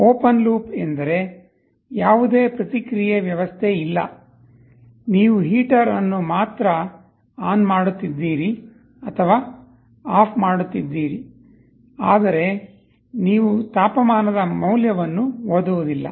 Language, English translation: Kannada, Open loop means there is no feedback mechanism; like you are only turning on or turning off the heater, but you are not reading the value of the temperature